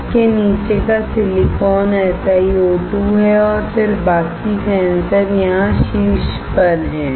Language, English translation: Hindi, The silicon below this is SiO2, and then the rest of the sensor is here